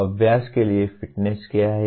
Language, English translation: Hindi, What is fitness for practice